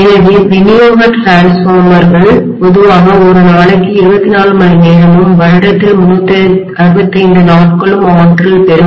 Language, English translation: Tamil, So distribution transformers normally will be energized 24 hours a day, 365 days in a year all the time they will be energized